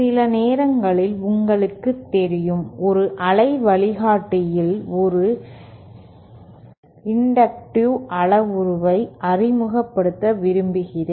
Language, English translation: Tamil, Sometimes, you know, we want to introduce an inductive parameter within a waveguide